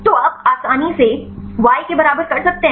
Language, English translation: Hindi, So, you can easily do the y equal to